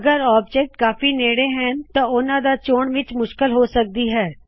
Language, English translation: Punjabi, If some objects are closely placed, you may have difficulty in choosing them